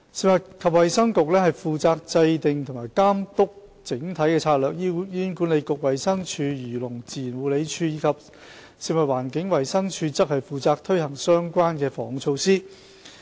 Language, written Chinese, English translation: Cantonese, 食物及衞生局負責制訂和監督整體策略，醫院管理局、衞生署、漁農自然護理署及食物環境衞生署則負責推行相關的防控措施。, The Food and Health Bureau is responsible for formulating and overseeing the overall strategy whereas HA the Department of Health DH the Agriculture Fisheries and Conservation Department AFCD and the Food and Environmental Hygiene Department FEHD are responsible for the implementation of the preventive and control measures